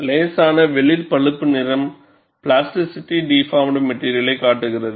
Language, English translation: Tamil, The slight light brown color, shows a material plastically deformed